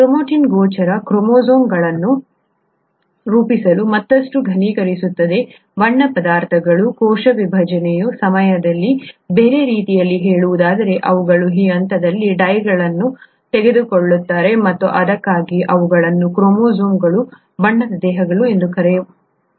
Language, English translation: Kannada, Chromatin condenses even further to form visible chromosomes, the coloured substances, during cell division, in other words they take up dyes during this stage and that’s why they are called chromosomes, coloured bodies